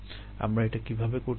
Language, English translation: Bengali, how do we do that